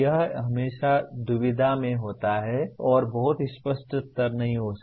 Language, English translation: Hindi, It is always the dilemma would be there and there may not be very clear answers